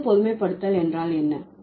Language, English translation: Tamil, What is the sixth generalization